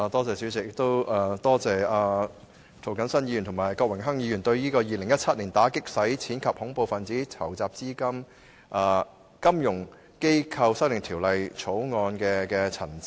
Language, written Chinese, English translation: Cantonese, 主席，感謝涂謹申議員和郭榮鏗議員對《2017年打擊洗錢及恐怖分子資金籌集條例草案》的陳辭。, President I thank Mr James TO and Mr Dennis KWOK for speaking on the Anti - Money Laundering and Counter - Terrorist Financing Amendment Bill 2017 the Bill